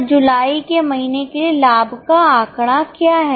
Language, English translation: Hindi, So, what is the profit figure for month of July